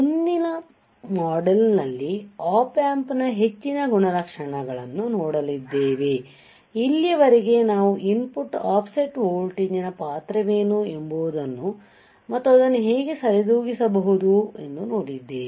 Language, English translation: Kannada, Now, we will see if you more characteristic of Op Amp in the next module until here what we have seen is what is the role of the input offset voltage how we can compensate input offset voltage and how we can compensate the input offset current